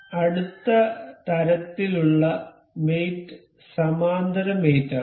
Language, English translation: Malayalam, The next kind of mate is parallel mate